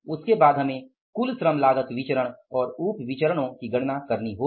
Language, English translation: Hindi, After that we will have to calculate the total labor cost variances, total labor cost variance and the sub variances